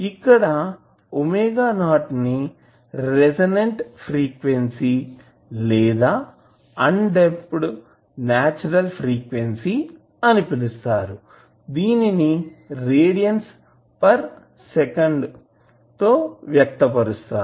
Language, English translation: Telugu, Well, omega not is known as the resonant frequency or undamped natural frequency of the system which is expressed in radians per second